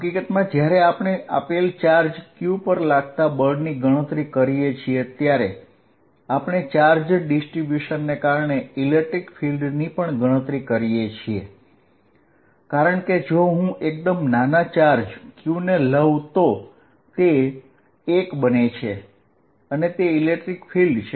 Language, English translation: Gujarati, In fact, while calculating forces on a given charge q, we had also calculated electric field due to a charge distribution, because if I take small q to be 1, it becomes the electric field